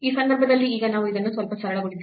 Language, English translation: Kannada, So, in this case now if we simplify this a bit